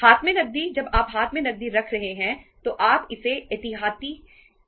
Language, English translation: Hindi, Cash in hand, when you are keeping cash in hand you are keeping it as a for the precautionary purpose